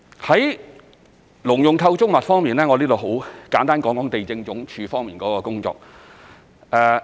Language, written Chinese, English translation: Cantonese, 在農用構築物方面，我在這裏簡單談談地政總署的工作。, Regarding agricultural structures let me briefly talk about the work of the Lands Department